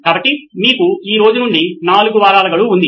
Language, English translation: Telugu, So you have a deadline of 4 weeks from today